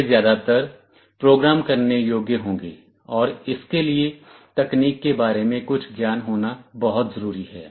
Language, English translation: Hindi, They will mostly be programmable and for that some knowledge about technology is very important